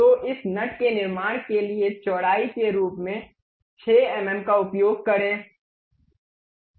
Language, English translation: Hindi, So, let us use 6 mm as the width to construct this nut